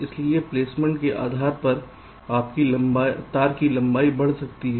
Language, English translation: Hindi, so depending on the placement, your wire length might increase